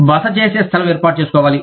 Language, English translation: Telugu, A place of stay, has to be arranged